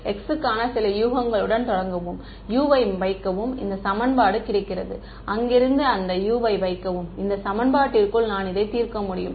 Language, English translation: Tamil, Start with some guess for x ok, put it into this equation, get U from there, put that U into this equation and then I am done I can solve this